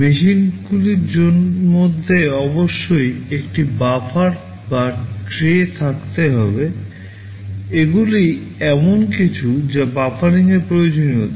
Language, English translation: Bengali, There must be a buffer or a tray between the machines, these are something called buffering requirements